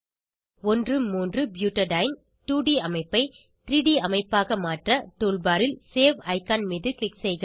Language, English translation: Tamil, To convert 1,3 butadiene 2D structure to 3D structure, click on the Save icon on the tool bar